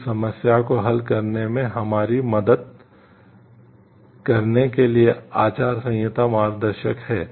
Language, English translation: Hindi, The codes of ethics are guide help to us in solving this problem